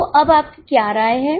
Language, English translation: Hindi, So, what is your opinion now